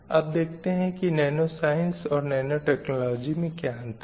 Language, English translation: Hindi, Let us see the difference between the nanoscience and technology